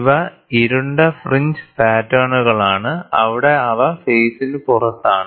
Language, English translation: Malayalam, So, these are dark fringe patterns; where they are out of phase